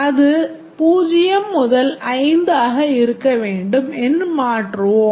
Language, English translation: Tamil, It should be 0 to 5